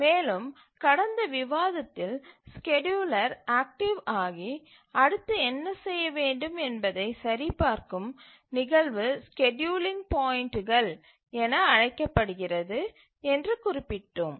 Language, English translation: Tamil, And in our last discussion we had mentioned that the instance at which the scheduler becomes active and checks what to do next are called as scheduling points